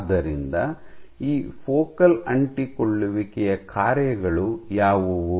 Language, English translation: Kannada, So, what are the functions of these focal adhesions